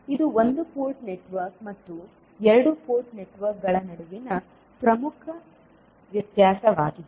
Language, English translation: Kannada, So, this is the major difference between one port network and two port network